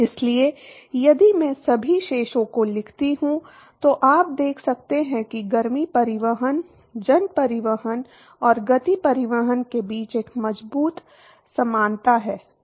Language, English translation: Hindi, So, if I write down all the balances, so you can see that there is a strong similarity between the heat transport, mass transport and the momentum transport